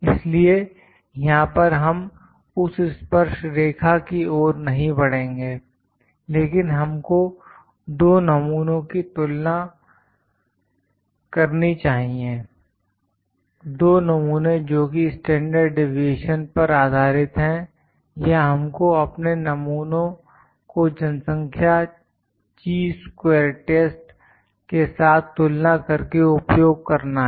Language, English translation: Hindi, So, we will not move to that tangent here, but just we need to compare two samples, two samples based upon their standard deviation or we need to compare our sample to the population Chi square test is used